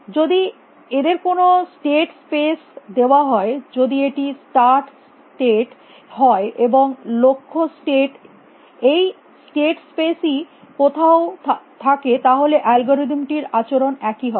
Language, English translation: Bengali, If given a state space if this is a start state and this is, and where ever the goal state may be in this state space the behavior of the algorithm would be the same